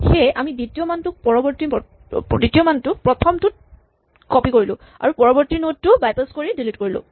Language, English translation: Assamese, So, we copy the second value into the first value and we delete the next node by bypassing